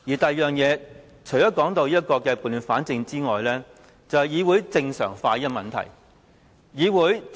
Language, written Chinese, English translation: Cantonese, 第二，除了撥亂反正外，就是議會正常化的問題。, Second apart from setting things right he also says that he want to restore the normal state of the Council